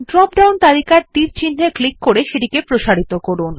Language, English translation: Bengali, Click on the arrow of the drop down list to expand it